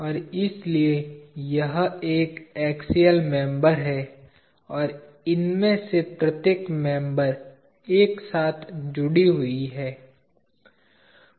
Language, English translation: Hindi, And therefore, this is an axial member and each of these members are joint together